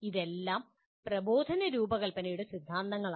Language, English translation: Malayalam, These are all theories of instructional design